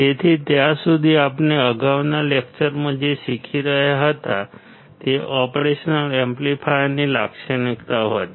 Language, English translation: Gujarati, So, until then what we were learning in the previous lectures were the characteristics of an operational amplifier